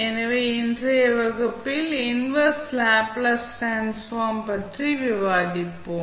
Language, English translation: Tamil, So, in today's class, we will discuss about the Inverse Laplace Transform